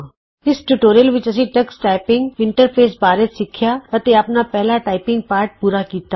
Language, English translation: Punjabi, In this tutorial we learnt about the Tux Typing interface and completed our first typing lesson